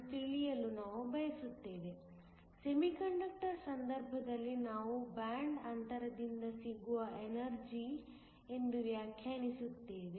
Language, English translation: Kannada, In the case of Semiconductor, we define it is energy by the band gap